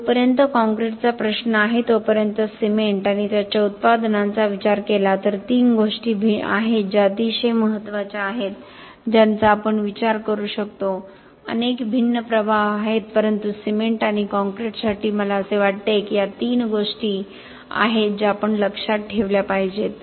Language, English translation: Marathi, As far as concrete is concern as far as cement and its products are concern there are three things which are very important impacts that we could consider, there are many many different impacts but for cement and concrete I feel that this are three things that we have to remember